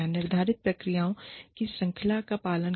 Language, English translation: Hindi, Follow the series of procedures, that is laid down